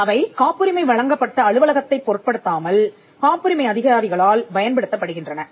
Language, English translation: Tamil, Now, these are universal codes which are used by patent officers regardless of the office in which the patent is granted